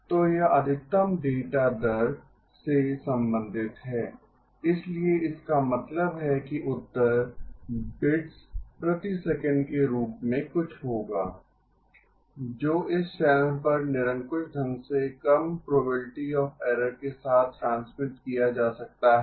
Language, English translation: Hindi, So it pertains to the maximum data rate, so which means the answer will be something in the form of bits per second that can be transmitted over this channel with arbitrarily low probability of error